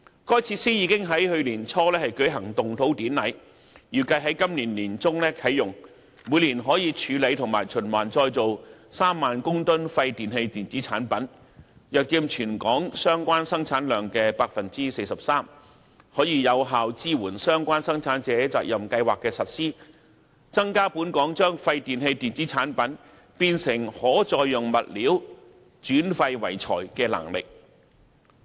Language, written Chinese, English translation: Cantonese, 該設施已經在去年年初舉行動土典禮，預計在今年年中啟用，每年可處理及循環再造3萬公噸廢電器電子產品，約佔全港相關生產量 43%， 可有效支援相關生產者責任計劃的實施，增加本港將廢電器電子產品變成可再用物料，轉廢為材的能力。, The ground - breaking ceremony of the WEEETRF was held early last year . The WEEETRF expected to be commissioned in the middle of this year can treat and recycle 30 000 tonnes of WEEE per annum accounting for about 43 % of the relevant production across the territory . It can effectively support the implementation of the PRS concerned in converting WEEE into reusable materials so as to enhance Hong Kongs capability of turning waste into useful resources